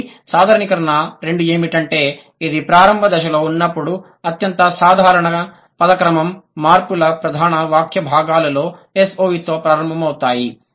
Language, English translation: Telugu, So, generalization two is that when it's the initial stage, the most common word order change in major sentence constituents that starts with S O V